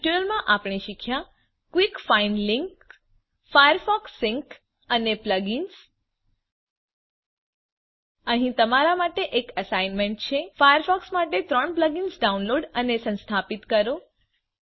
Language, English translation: Gujarati, In this tutorial, we learnt about *Quick find link * Firefox Sync and Plug ins Here is an assignment for you #160 Download and install 3 plug ins for firefox Create a firefox sync account